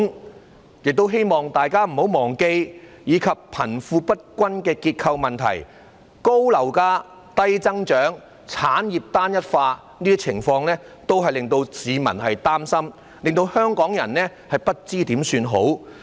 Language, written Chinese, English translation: Cantonese, 我亦希望大家不要忘記，貧富不均的結構問題，高樓價、低增長、產業結構單一化等情況也令市民擔心，令香港人不知如何是好。, I also hope Members will not forget that conditions like the structural wealth disparity problem high property prices low growth rate the homogeneity of the industrial structure etc are all arousing public concern and making Hong Kong people feel at a loss